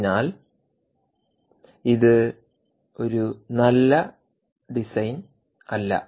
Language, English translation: Malayalam, so this is not a good design, right